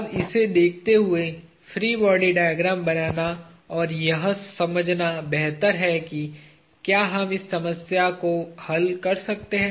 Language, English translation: Hindi, the free body diagrams and understand whether we can solve this problem